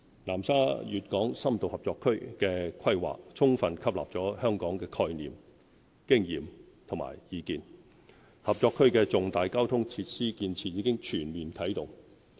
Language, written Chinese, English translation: Cantonese, 南沙粵港深度合作區的規劃，充分吸納了香港的概念、經驗和意見，合作區的重大交通設施建設已全面啟動。, The planning of the Guangdong - Hong Kong in - depth cooperation zone in Nansha has fully incorporated the concept experience and advice shared by Hong Kong and the construction of major transport facilities supporting the cooperation zone has fully commenced